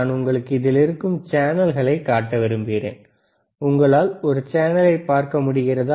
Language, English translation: Tamil, So, I want to show you the channels here channels are there, can you can you see a show channel